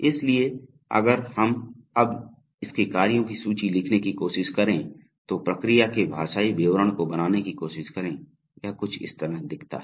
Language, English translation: Hindi, So if we now try to write its list of actions, try to create a linguistic description of the process operation it looks something like this